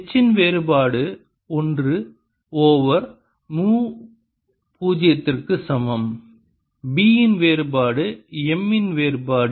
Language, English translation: Tamil, as i'll show here, divergence of h is equal to one over mu, zero divergence of b minus divergence of m